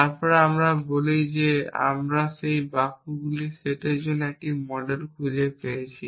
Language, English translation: Bengali, Then we say that we have found a model for those set of sentences